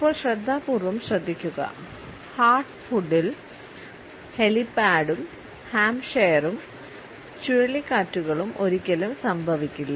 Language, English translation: Malayalam, Now listen carefully in heart food helipad and Hampshire hurricanes hardly ever happen